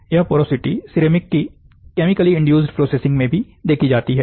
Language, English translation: Hindi, This porosity is also seen in chemically induced sintering of ceramics